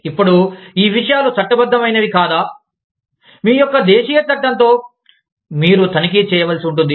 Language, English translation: Telugu, Now, whether these things are legal or not, that you will have to check, with the law of the land, that you live in